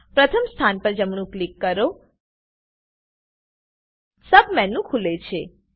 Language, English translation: Gujarati, Right click on the first position, a Submenu opens